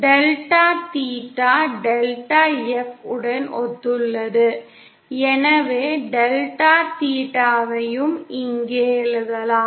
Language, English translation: Tamil, Delta theta which corresponds to delta F, so I can write here delta theta also